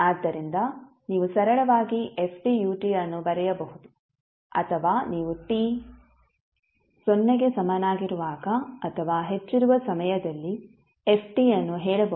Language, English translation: Kannada, So you can simply write ft ut or you can say ft for time t greater than equal to 0